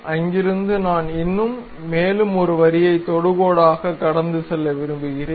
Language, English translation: Tamil, And from there I would like to construct one more line passing through that and tangent to this line